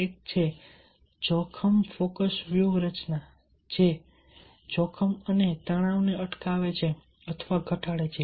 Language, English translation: Gujarati, one is risk focus strategy: that preventing or reducing risk and stressors